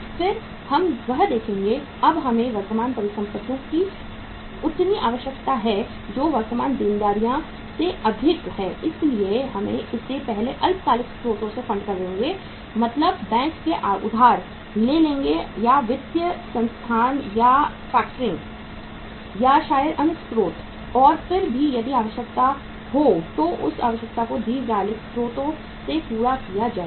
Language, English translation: Hindi, Then we will see that now we have got this much further requirement of current assets which are more than the current liabilities so we will fund it from the short term sources first that is borrowing from the bank or financial institutions or factors or maybe other sources and still if there is a requirement then that requirement will be fulfilled from the long term sources